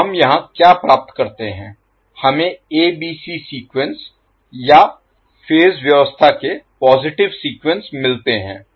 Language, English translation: Hindi, So, what we get here we get ABC sequence or the positive sequence of the phase arrangement